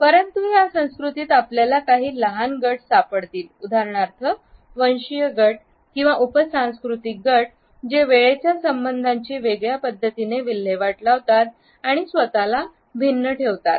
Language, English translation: Marathi, But within that culture we may find some smaller groups for example, ethnic groups or sub cultural groups who are disposed in a different manner and have retained a different association with time